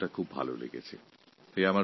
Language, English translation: Bengali, I like this term